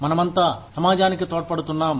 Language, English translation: Telugu, We are all contributing to the society